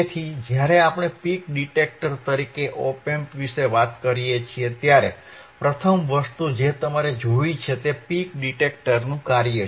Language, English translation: Gujarati, So, when we talk about op amp ias a peak detector, the first thing that you have to see is the function of the peak detector